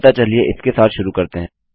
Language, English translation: Hindi, So, lets take this back down here